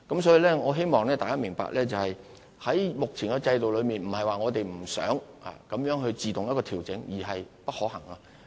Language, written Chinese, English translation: Cantonese, 所以，我希望大家明白，在目前的制度下，並非我們不想自動進行調整，而是並不可行。, So I hope Members can understand that under the present system it is not that we do not want to but we are unable to make automatic adjustments